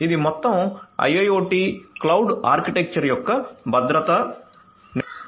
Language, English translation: Telugu, So, security management of the whole IIoT cloud architecture right